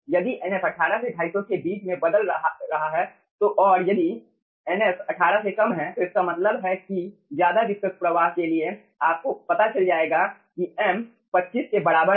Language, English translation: Hindi, if nf varies in between 18 to 250 and if nf is less than 18, that means for very viscous flow, you will be finding out